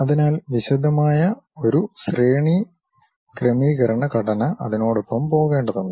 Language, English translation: Malayalam, So, a detailed hierarchical structure one has to go with that